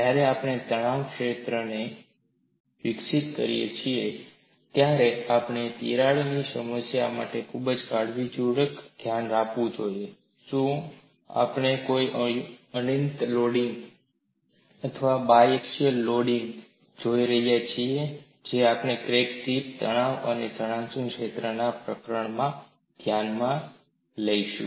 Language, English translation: Gujarati, When we develop the stress field we have to look at very carefully for the problem of a crack, are we looking at a uniaxial loading or a biaxial loading, which we would look when we take up the chapter on crack tip stress and displacement fields